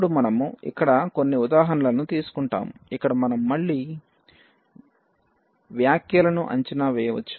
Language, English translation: Telugu, So, now, we will take some example here where we can evaluate just again a remarks